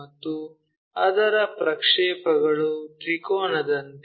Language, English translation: Kannada, And its projection, as a triangle